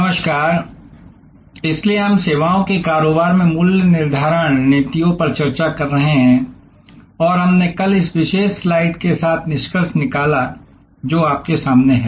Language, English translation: Hindi, Hello, so we are discussing pricing strategies in services businesses and we concluded yesterday with this particular slide, which is in front of you